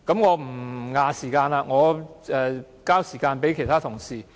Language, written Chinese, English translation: Cantonese, 我不佔用議會的時間了，我把時間交給其他同事。, I will not take more time of the Council . I now pass the floor to other Honourable colleagues